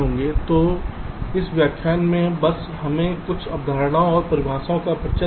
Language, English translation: Hindi, so in this lecture just let us introduce, ah, just ah, few concepts and definitions